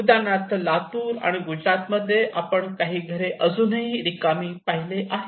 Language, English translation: Marathi, So for instance in Latur and Gujarat we can see even some of the houses still or empty unoccupied